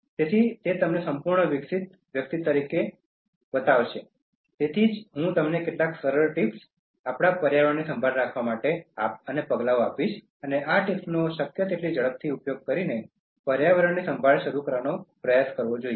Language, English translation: Gujarati, So that will show you as a fully developed personality, so that is why I am going to give you some simple tips, simple steps for caring for our environment and try to start caring for the environment by using these tips as quick as possible